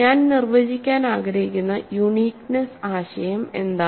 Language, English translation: Malayalam, So, what is the notion of uniqueness that I want to define